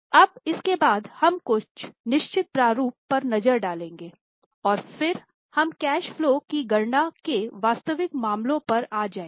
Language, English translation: Hindi, Now after these we will move to we will have a look at certain formats and then we will move to the actual cases of calculation for cash flow